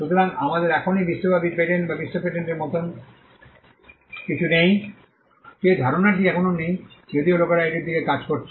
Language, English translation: Bengali, So, we still do not have something like a global patent or a world patent that concept is still not there, though people are working towards it